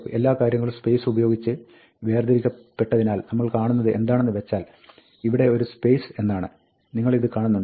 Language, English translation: Malayalam, Now, because everything is separated by a space, what we find is that, we find a space over here; do you see this